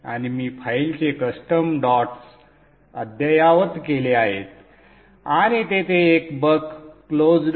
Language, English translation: Marathi, And I have the updated custom dot sub file and there is a buck close